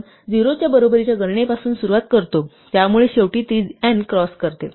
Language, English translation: Marathi, We start with count equal to 0, so eventually it is going to cross n